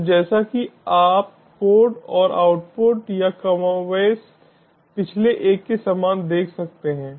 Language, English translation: Hindi, so as you can see the codes and the outputs, or more or less similar to the previous one